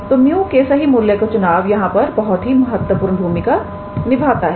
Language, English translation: Hindi, So, choosing the correct value of mu plays an important role here